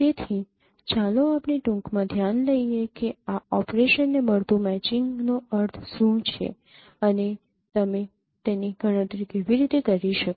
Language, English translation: Gujarati, So, let us consider briefly that what is meant by this, this operations matching and how actually you can compute it